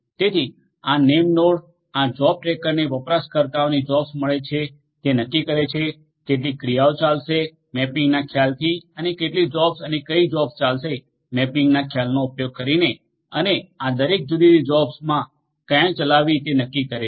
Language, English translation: Gujarati, So, these name nodes these job tracker will receive the users job will decide on how many tasks will run using, the concept of mapping and how many jobs and which jobs are going to run that mapping is going to be done and it is going to also decide on where to run in each of these different jobs